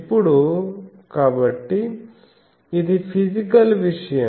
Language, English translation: Telugu, Now, so this is a physical thing